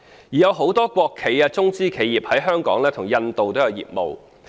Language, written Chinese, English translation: Cantonese, 有很多國企及中資企業在香港與印度也有業務往來。, Many state - owned enterprises and Chinese - funded enterprises have business dealings both in Hong Kong and India